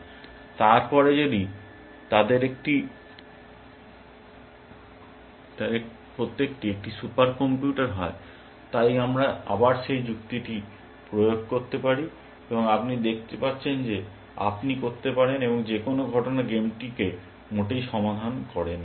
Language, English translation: Bengali, And then, if the each of them was a super computer, so we can do that argument again, and you can see that you can, any fact not solves the game at all